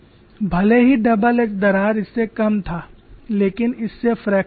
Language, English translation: Hindi, Even though the double edge crack was shorter than center crack this precipitated the fracture